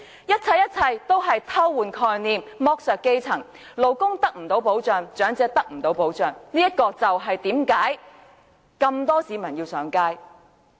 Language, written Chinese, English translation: Cantonese, 一切一切都是偷換概念，剝削基層，勞工未能得到保障，長者得不到保障，這便是為甚麼眾多市民上街遊行的原因。, All these are examples of mixing up concepts and exploiting the grass roots . Workers and the elderly are not duly protected . These are the reasons why so many people take to the streets